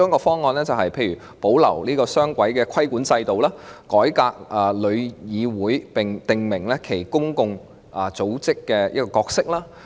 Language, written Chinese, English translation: Cantonese, 方案一，保留雙軌規管制度，改革香港旅遊業議會，並訂明其公共組織的角色。, Option 1 was to retain the current two - tier regulatory regime reform the Travel Industry Council of Hong Kong TIC and specify its role as a public association